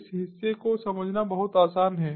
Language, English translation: Hindi, very easy to understand this part